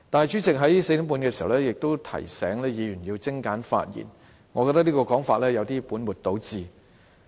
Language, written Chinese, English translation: Cantonese, 主席在4時30分也提醒議員要精簡發言，我認為這種說法有點本末倒置。, At 4col30 pm the President also reminded Members to speak concisely which I think is somewhat like putting the cart before the horse